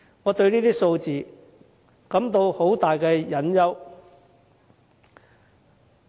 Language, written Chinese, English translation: Cantonese, 我對這些數字感到很大擔憂。, These figures have aroused my grave concern